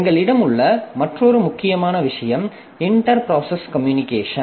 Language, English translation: Tamil, Another important point that we have is inter process communication